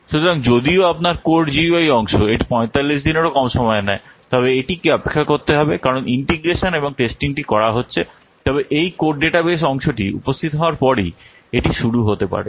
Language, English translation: Bengali, So even if your code UI part it takes less there is 45 days but it has to wait because integration and testing part can start only after this code database part is there